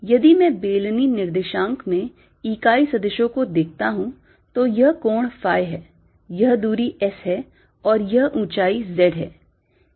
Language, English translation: Hindi, if i look at the unit vectors in cylindrical coordinates, this angle is phi, this distance is s and this height is z